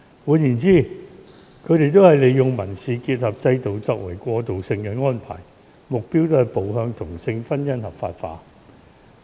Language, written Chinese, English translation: Cantonese, 換言之，這些國家或地方都是利用民事結合制度作為過渡性安排，目標是步向同性婚姻合法化。, In other words all of these countries or places have used the civil union system as a transitional arrangement with the ultimate goal of legalizing same - sex marriage